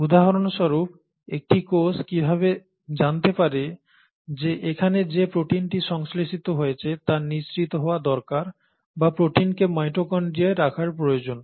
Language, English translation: Bengali, For example how will a cell know that a protein which is synthesised here needs to be secreted or a protein needs to be put into the mitochondria